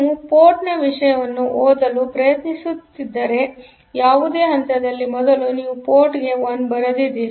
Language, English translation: Kannada, So, any point you are trying to read the content of a port; first you wrote 1 to the port